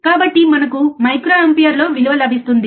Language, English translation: Telugu, So, we get a value forin microampere, easy